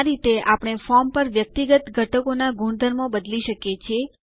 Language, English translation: Gujarati, In this way, we can modify the properties of individual elements on the form